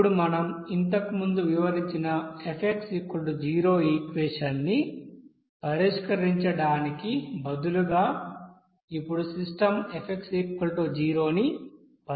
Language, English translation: Telugu, Now instead of solving the equation F is equal to 0 whatever we have described earlier, we are now solving the system of F equals to 0